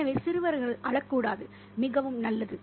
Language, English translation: Tamil, So boys are not supposed to cry, very good